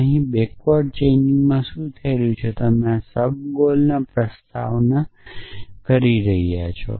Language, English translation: Gujarati, So, what is happening here in backward chaining is that you are doing this subgoel promulgation